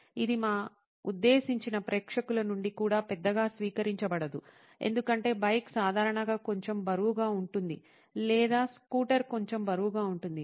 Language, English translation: Telugu, This is not well received by our intended audience as well, because the bike is usually a bit heavy or the scooter is a bit heavy